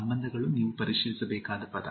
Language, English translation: Kannada, Relations is the word you need to check